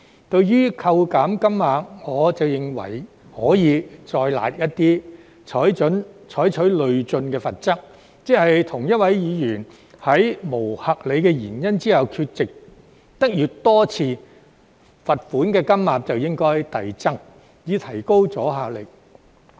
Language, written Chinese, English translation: Cantonese, 對於扣減金額，我則認為可以再"辣"一點，採取累進罰則，即同一位議員在沒有合理原因下缺席越多次，罰款金額就應該遞增，以提高阻嚇力。, As for the amount of deduction I reckon that it can be made a bit harsher by adopting a progressive penalty system whereby the more occasions on which a Member is absent without valid reasons the higher the amount of the fine should be so as to enhance the deterrent effect